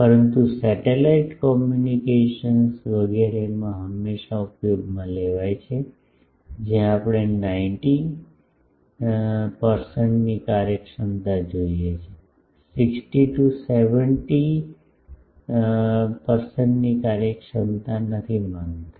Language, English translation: Gujarati, But, invariably used in satellite communications etcetera where we want not 60 70 percent efficiency something like 90 percent efficiency